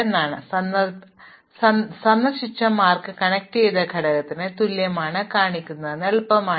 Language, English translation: Malayalam, So, it is easy to show that what is marked visited is equal to the connected component